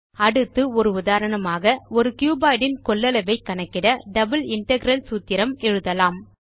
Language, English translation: Tamil, Next let us write an example double integral formula to calculate the volume of a cuboid